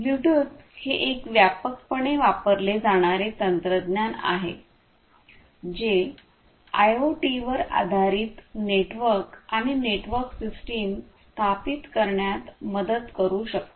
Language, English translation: Marathi, So, Bluetooth is a widely used technology which can help in setting up IoT based networks and network systems